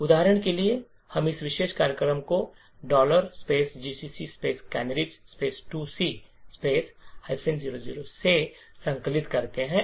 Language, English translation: Hindi, For example, we compile this particular program like GCC canaries 2 dot C minus o 0